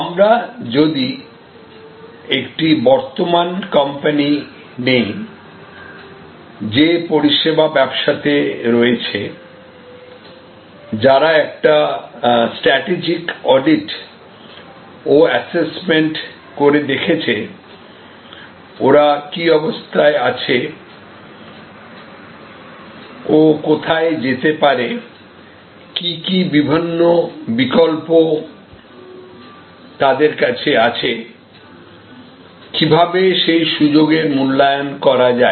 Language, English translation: Bengali, Now, if we take an existing company, a company which is already in the service business and is doing a strategic audit and assessment of where they are and where they can go, which are the different options available to them and how to evaluate those options